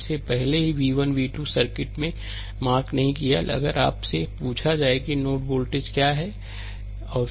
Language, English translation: Hindi, So, so even if it is v 1 v 2 will not mark in the circuit, if you are ask that what are the node voltages, right